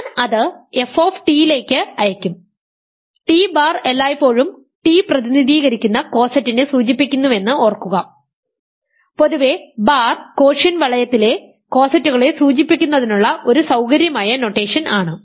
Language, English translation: Malayalam, Remember t bar is the t bar always represents the coset corresponding to t, in general bar is a convenient notation to denote cosets in a quotient ring